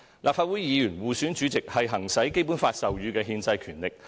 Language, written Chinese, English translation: Cantonese, 立法會議員互選主席是行使《基本法》授予的憲制權力。, The election of President by Legislative Council Members from among themselves is an exercise of their constitutional power conferred by the Basic Law